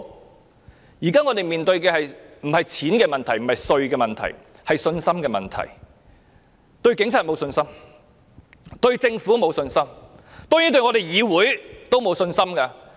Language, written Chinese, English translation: Cantonese, 香港現時並非面對錢或稅務的問題，而是信心問題，因為市民對警察沒有信心、對政府沒有信心，當然對議會也沒有信心。, At present the problem faced by Hong Kong is not about money or taxation . Rather it is all about confidence . The reason is that people have no confidence in the Police the Government and also the legislature of course